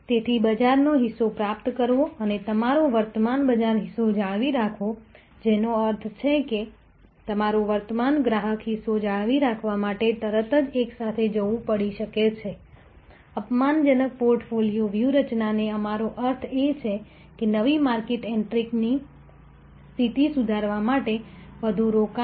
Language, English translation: Gujarati, So, acquisition of market share and retaining your current market share, which means retaining your current customer share may have to go hand in hand instantly, what we mean by offensive portfolio strategy is more investment, to grow improve position, new market entry